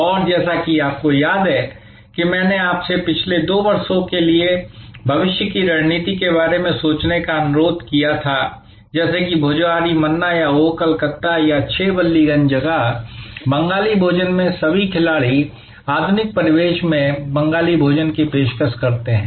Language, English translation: Hindi, And as you recall I had requested you to think about the pricing strategy for the last next 2 years for a service organization like Bhojohori Manna or Oh Calcutta or 6 Ballygunge place, there all players in the Bengali Cuisine offering Bengali Cuisine in modern ambience